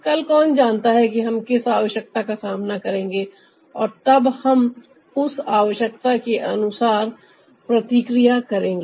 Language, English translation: Hindi, tomorrow, who knows what need we will be facing and ah then we will react as per that need